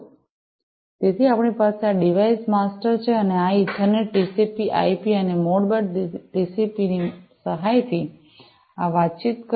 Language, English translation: Gujarati, And, so, we have this device master and this communication will be taking place, with the help of this Ethernet TCP/IP, and Modbus TCP